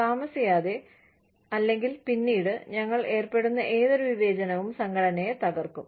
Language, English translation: Malayalam, Soon or later, any discrimination, that we indulge in, will bring the organization, down